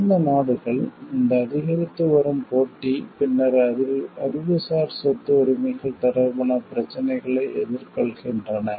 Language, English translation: Tamil, Developed countries as they were facing, this increasing competition, then for issues concerning Intellectual Property Rights